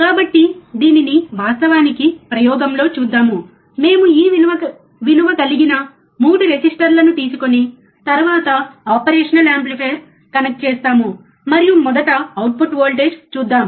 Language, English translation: Telugu, So, let us see this actually in the experiment, we will connect we will take a operational amplifier 3 resistors of this value, we connect it, and let us see the output voltage initially